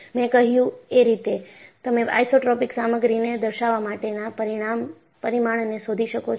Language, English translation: Gujarati, I said that, you can find out the parameters to characterize an isotropic material